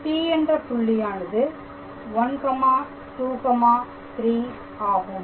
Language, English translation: Tamil, So, the point P is 1, 2, 3